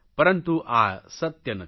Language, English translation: Gujarati, But this is not the truth